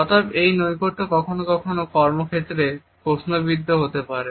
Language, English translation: Bengali, Therefore, this proximity sometimes may be questioned in the workplace